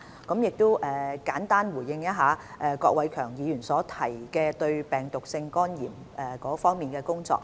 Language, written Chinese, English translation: Cantonese, 我亦簡單回應一下郭偉强議員提及應對病毒性肝炎的工作。, Let me also briefly respond to Mr KWOK Wai - keungs comments on tackling viral hepatitis